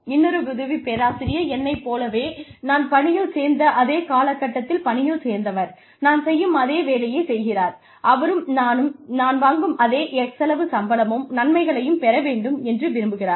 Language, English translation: Tamil, Another assistant professor, who joined at the same time as me, doing the same kind of work as me, gets, should get, I feel should get, x amount of salary, x amount of benefits, just what I get